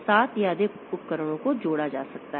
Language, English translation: Hindi, So, seven or more devices can be connected